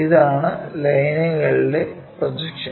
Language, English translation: Malayalam, And this is basically projection of lines